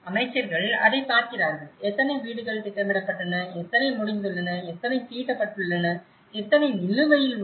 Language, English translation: Tamil, And that is what ministers look at, how many number of houses were planned, how many have been executed, how many have been laid out and how many are pending